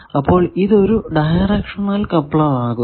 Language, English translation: Malayalam, So, this becomes a directional coupler